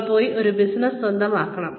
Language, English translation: Malayalam, Then, maybe, you should go and own a business